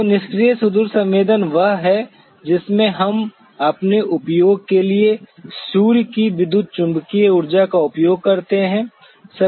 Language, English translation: Hindi, So, passive remote sensing is the one in which we use the sun’s electromagnetic energy for our use